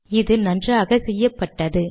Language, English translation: Tamil, Now this is nicely done